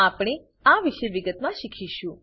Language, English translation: Gujarati, We will learn about this in detail